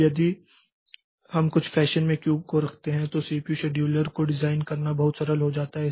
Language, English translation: Hindi, Now, if we keep the queue ordered in some fashion, then this designing this CPU scheduler becomes very simple